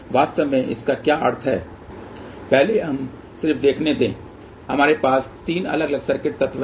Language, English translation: Hindi, First let us just see, we have 3 different circuit element